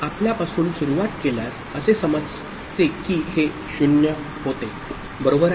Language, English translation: Marathi, So, if to start with you consider that this was 0, right